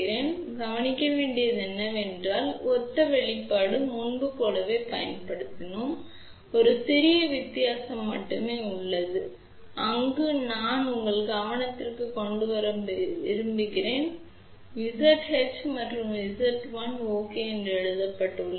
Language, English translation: Tamil, So, what you will notice over here, that this is similar expression, we have used the same thing as before , but there is a only 1 small difference where I want to bring your attention, you see over here it is written as Z h and this is written as Z l ok